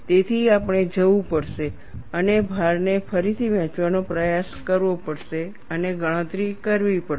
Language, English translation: Gujarati, So, we have to go and try to redistribute the load and make the calculation